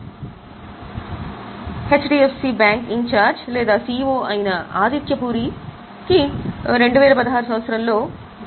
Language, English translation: Telugu, So, Adityapuri, who is in charge of or CEO of HDFC bank, you can see the salary for 2016 was 9